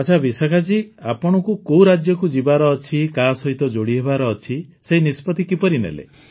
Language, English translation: Odia, Ok Vishakha ji, how did you decide on the choice of the State you would go to and get connected with